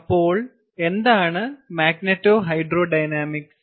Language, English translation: Malayalam, what is magneto hydro dynamics